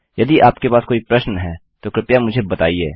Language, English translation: Hindi, If you have any questions, please let me know